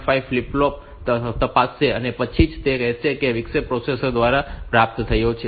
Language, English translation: Gujarati, 5 flip flop and then only it will say that the interrupt is received by the processor